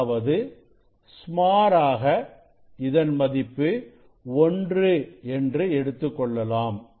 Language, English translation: Tamil, that means, say it is a then approximately 1